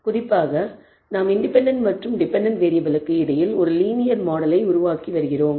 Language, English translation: Tamil, Particularly we were developing a linear model between the independent and dependent variable